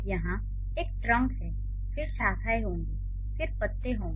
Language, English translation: Hindi, So, here, so there is a trunk, then there would be branches, and then there would be leaves